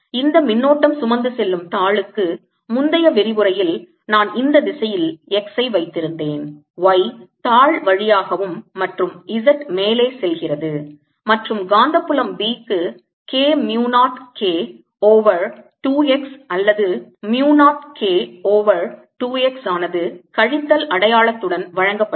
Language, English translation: Tamil, let me remind you, for this current carrying sheet, the previous lecture we had x is in this direction, y going along the sheet and z going up, and the magnetic field b was given as k, mu not k over two x or mu not k over two x, with the minus sign right